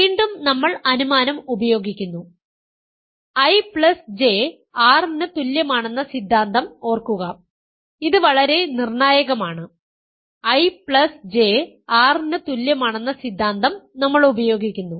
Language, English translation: Malayalam, Again we use the hypothesis, remember the hypothesis that I plus J is equal to R was made and this is very crucial, we use that hypothesis I plus J is equal to R